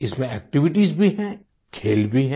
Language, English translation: Hindi, In this, there are activities too and games as well